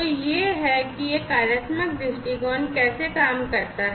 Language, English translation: Hindi, So, this is how this functional viewpoint works